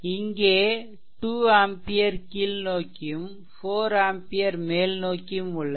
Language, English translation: Tamil, So, this is your that 2 ampere downwards and this is 4 ampere your upwards right